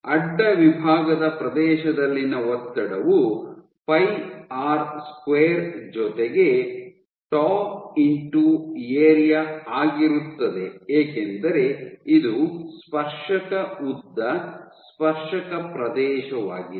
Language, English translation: Kannada, So, pressure into the cross section area is pi r square plus tau into the area because it is the tangential length tangential area